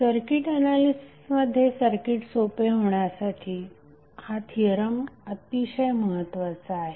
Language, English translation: Marathi, Now this theorem is very important in the circuit analysis why